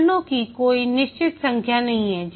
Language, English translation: Hindi, There is no fixed number of phases